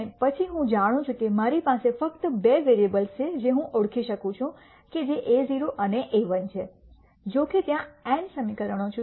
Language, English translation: Gujarati, And then I know that I have only two variables that I can identify which are a naught and a 1; however, there are n equations